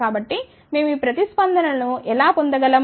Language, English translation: Telugu, So, how do we get these responses ok